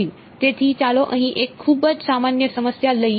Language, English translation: Gujarati, So, let us take a very general problem over here